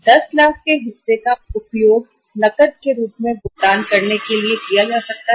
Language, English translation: Hindi, Part of the 10 lakh can be used for making the payments as a cash